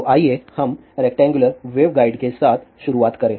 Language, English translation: Hindi, So, let us begin with rectangular waveguide